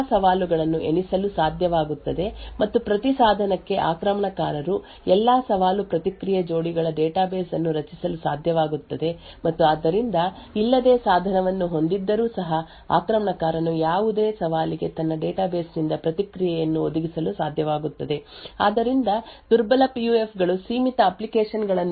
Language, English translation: Kannada, So the problem with the weak PUF is that because the number of different challenges are limited, the attacker may be able to enumerate all of these challenges and for each device the attacker could be able to create a database of all challenge response pairs and therefore without even having the device the attacker would be able to provide a response from his database for any given challenge therefore, weak PUFs have limited applications